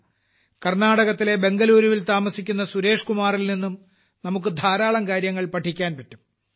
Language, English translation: Malayalam, We can also learn a lot from Suresh Kumar ji, who lives in Bangaluru, Karnataka, he has a great passion for protecting nature and environment